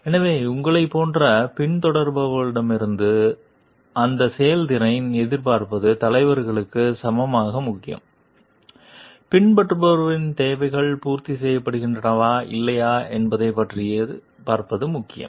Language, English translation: Tamil, So, but it is equally important for the leader to see like to expect that performance from the followers like you whether the followers needs are met or not